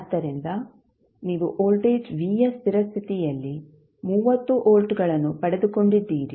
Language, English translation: Kannada, So, you got v at steady state value of voltage v is 30 volts